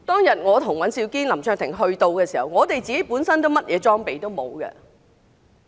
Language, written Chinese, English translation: Cantonese, 當我和尹兆堅議員及林卓廷議員抵達現場時，我們本身甚麼裝備都沒有。, When Mr Andrew WAN Mr LAM Cheuk - ting and I arrived at the scene we did not have any protective gear